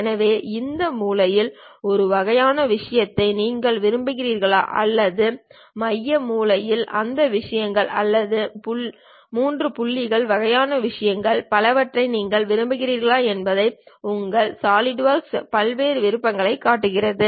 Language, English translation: Tamil, So, your Solidwork shows variety of options whether you want this corner to corner kind of thing or perhaps center corner kind of things or 3 point kind of things and many more